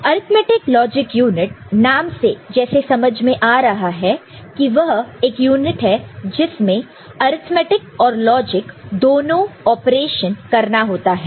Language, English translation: Hindi, And, arithmetic logic unit as you understand from the very name of it that it is one unit within which both arithmetic and logic operation are to be done